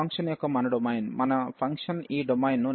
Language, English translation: Telugu, So, our domain of the function so, our function is defined this domain